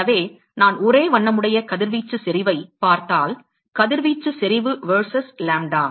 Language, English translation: Tamil, So, if I look at the monochromatic radiation intensity, radiation intensity verses lambda